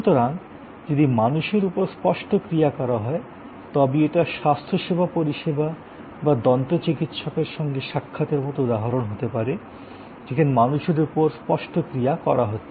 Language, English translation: Bengali, So, if tangible actions are performed on people, then it could be like a health care service, your visit to your dentist, these are elements of tangible actions on people